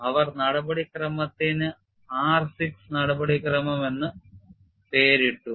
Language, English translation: Malayalam, And they have also named the procedure as R6 procedure